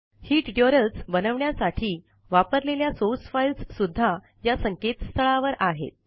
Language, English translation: Marathi, Source files used to create these tutorials are also available at this website